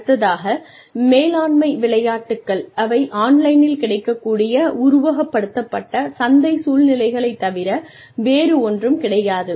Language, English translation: Tamil, The other is management games, which are nothing but, simulated marketplace situations, that are available online